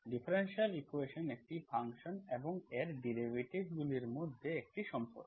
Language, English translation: Bengali, Differential equation is a relation between a function and its derivatives